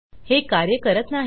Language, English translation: Marathi, Its not working